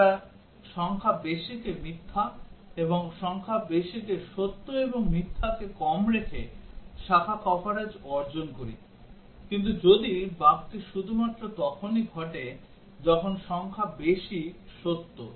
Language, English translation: Bengali, We achieve branch coverage by keeping digit high to be false and digit low to true and false; but, what if the bug occurs only when the digit high is true